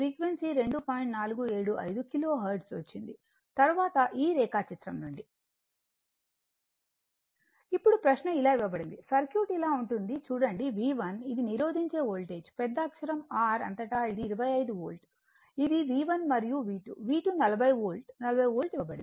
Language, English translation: Telugu, Now, question is it is given like this look the circuit is like this that V 1 that resists , Voltage across the , capital R is 25 Volt this is my V 1 right and V 2 , V 2 is given 40 Volt , right 40 Volt